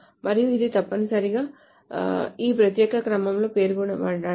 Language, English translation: Telugu, And it must be specified in this particular order